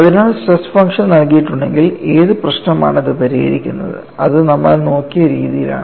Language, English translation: Malayalam, So, if the stress function is given, what problem it solves that is the way we are looked at it and how do you arrived the stress function